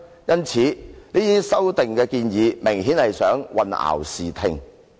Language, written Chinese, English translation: Cantonese, 因此，這項修訂明顯地有意混淆視聽。, Obviously this amendment intends to obscure the facts